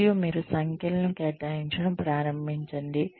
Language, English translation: Telugu, And, you start assigning numbers